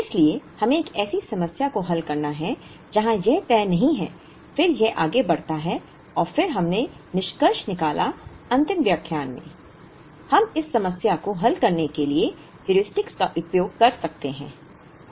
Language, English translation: Hindi, So, we have to solve a problem where this is not fixed, then this goes on and on and then we concluded in the last lecture, that we could use Heuristics to solve this problem